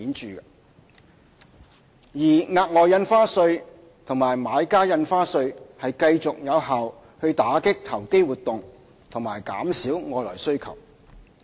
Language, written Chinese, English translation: Cantonese, 至於額外印花稅和買家印花稅則繼續有效打擊投機活動和減少外來需求。, Meanwhile the Special Stamp Duty and Buyers Stamp Duty have continued to be effective in combating speculative activities and reducing external demand